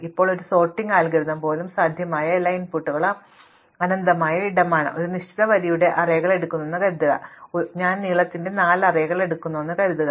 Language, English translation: Malayalam, Now, even for a sorting algorithm all possible inputs is an infinite space, supposing I just take arrays of a fixed length, supposing I take arrays of length 4